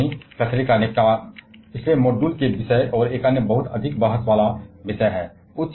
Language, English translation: Hindi, The radioactive waste disposal the topic of the last module and another very highly debated topic